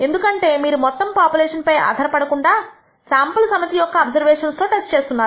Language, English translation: Telugu, Because you are basing the test on a sample set of observations not on the entire population